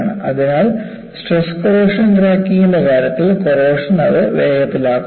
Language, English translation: Malayalam, So, in the case of stress corrosion cracking, corrosion event precipitates that